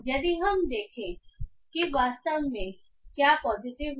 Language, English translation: Hindi, So if we see what exactly is propositive